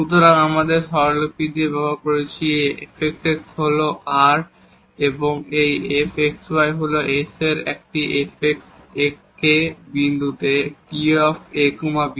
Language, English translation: Bengali, So, with our notation we have used this fxx r and this xys and this fkk t at this point ab